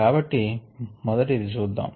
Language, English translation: Telugu, so let us look at the thing first